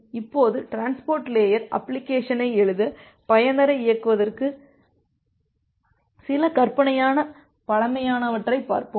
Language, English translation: Tamil, Now, let us look in to some hypothetical primitive to enable user to write a transport layer application